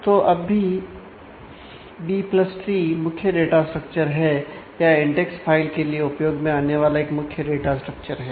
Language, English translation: Hindi, So, now, B + tree is the main data structure is or one of the main data structures to be used for index files